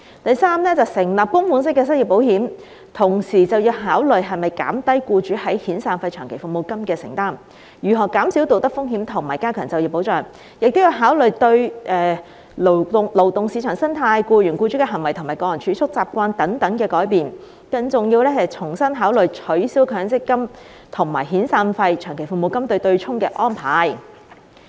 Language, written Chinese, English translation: Cantonese, 第三，成立供款式的失業保險，要考慮是否減低僱主在遣散費/長期服務金的承擔，如何減少道德風險及加強就業保障，亦要考慮到對勞動市場生態、僱員僱主的行為及個人儲蓄習慣等的改變，更要重新考慮取消強積金與遣散費/長期服務金"對沖"的安排。, Third as regards the introduction of a contributory unemployment insurance we must consider whether this will reduce the commitment of employers to severance paymentslong service payments and how to minimize moral hazards and enhance employment protection . We must also consider the changes that will be brought to the ecology of the labour market behaviour of employers and employees and personal saving habits . More importantly we must consider afresh the abolition of the arrangement of offsetting severance payments and long service payments against Mandatory Provident Fund MPF accrued benefits